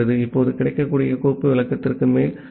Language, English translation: Tamil, Now, we are looping over the available file descriptor